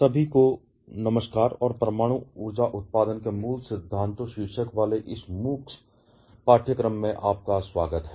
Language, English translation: Hindi, Hello everyone and welcome back to this MOOCs course titled fundamentals of nuclear power generation